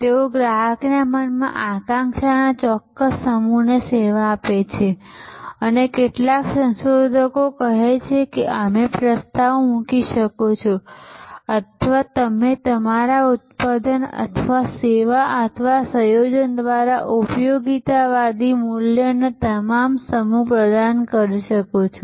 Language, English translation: Gujarati, They serve a certain set of aspiration in the customer's mind and some researchers say that you may propose or you may deliver an excellent set of utilitarian values through your product or service or combination